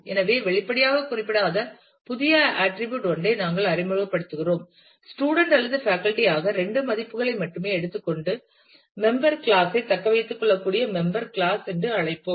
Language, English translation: Tamil, So, we introduce a new attribute which was not specified explicitly say; let us call it member class which can take only two values either student or faculty and then retain the member type